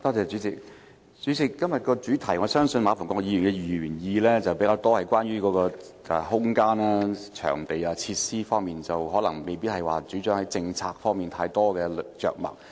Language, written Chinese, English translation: Cantonese, 主席，我相信馬逢國議員的議案較側重於空間、場地、設施方面，而政策方面的主張未有太多着墨。, President I think Mr MA Fung - kwoks motion focuses more on space venues and facilities than on the policy aspect